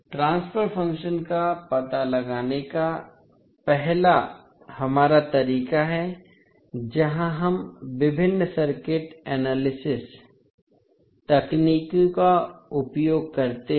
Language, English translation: Hindi, That is our first method of finding out the transfer function where we use various circuit analysis techniques